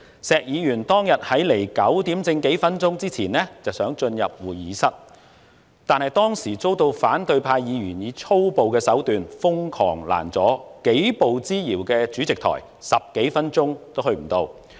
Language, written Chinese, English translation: Cantonese, 石議員當天在9時之前幾分鐘想進入會議室，但遭到反對派議員以粗暴手段瘋狂攔阻，幾步之遙的主席台，他10多分鐘也未能到達。, When Mr SHEK wanted to enter the conference room a few minutes before 9col00 am that day he was obstructed violently by some outrageous Members of the opposition camp . He struggled for over 10 minutes but still could not reach the Chairmans seat even though it was just a few steps away